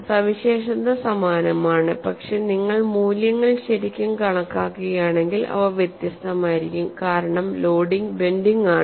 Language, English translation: Malayalam, The feature is similar, but if you really calculate the values, they would be different; because the loading is bending the graph is very similar